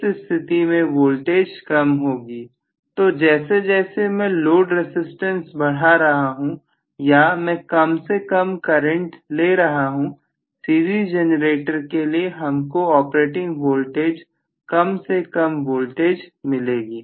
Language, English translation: Hindi, In that case the voltage happens to be much smaller, so as I increase the load resistance further and further or as I draw smaller and smaller current I am going to have less and less voltage as the operating voltage for my series generator